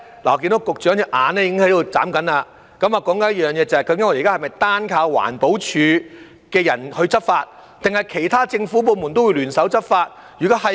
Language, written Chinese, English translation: Cantonese, 我看到局長的眼睛在眨，我要說的是，屆時是否單靠環保署的人員執法，還是其他政府部門都會聯手執法呢？, I see the Secretary blink his eyes . What I want to say is Will enforcement be carried out by EPD staff alone or will other government departments join hands to enforce the law?